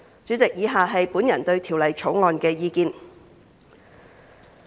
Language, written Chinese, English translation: Cantonese, 主席，以下是我對《條例草案》的意見。, President the following are my views on the Bill